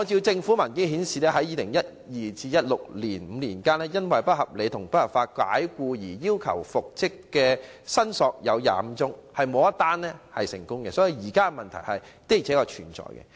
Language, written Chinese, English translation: Cantonese, 政府文件顯示，在2012年至2016年的5年間，因為"不合理及不合法解僱"而要求復職的申索有25宗，卻沒有一宗成功個案，所以現時問題確實存在。, As indicated in government papers during the five - year period from 2012 to 2016 there were 25 claims for reinstatement made by employees who had been unreasonably and unlawfully dismissed but none of such claims was successful . As such there is indeed a problem